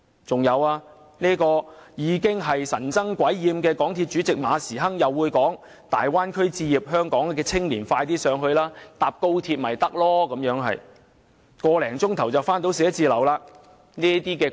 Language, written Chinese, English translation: Cantonese, 此外，神憎鬼厭的港鐵公司主席馬時亨又表示，香港青年可到大灣區置業，乘搭高鐵往返辦公室只須1個多小時，這說法完全是"堅離地"的，主席......, Furthermore the much - hated Chairman of MTRCL Frederick MA further said that young people of Hong Kong could buy properties in the Bay Area as it only took one - odd hour to go to work by travelling on XRL . His remark is far too detached from reality President